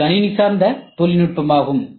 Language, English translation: Tamil, CNC is also computer based technology